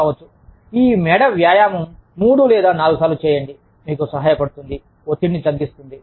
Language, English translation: Telugu, May be, doing this neck exercise, three or four times, will help you, relieve the stress